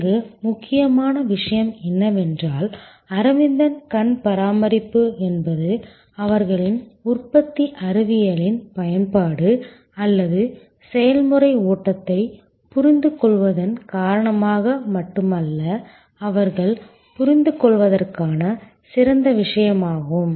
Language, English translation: Tamil, Important point here that Aravind eye care is a great case to study not only because of their application of manufacturing science or process flow understanding they also understand